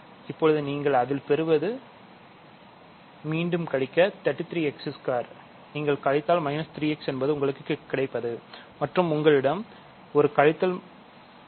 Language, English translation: Tamil, So, now you subtract again what you get it is 33 x squared, so you subtract minus 3 x is what you get and you have a minus 2 from before